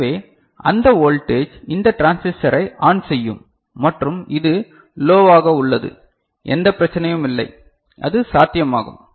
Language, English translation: Tamil, So, that voltage will allow this transistor to go ON right and this is low there is no issue, it is possible